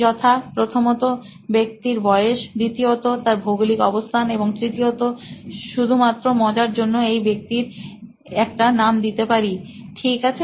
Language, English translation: Bengali, So the persona is in three parts one is the age of the person, second is the geography and third just for fun we will even name this person, ok